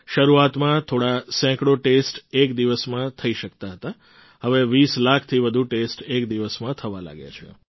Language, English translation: Gujarati, Initially, only a few hundred tests could be conducted in a day, now more than 20 lakh tests are being carried out in a single day